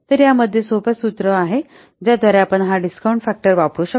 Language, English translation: Marathi, So, in the this is a simple formula by using which we can use this discount factor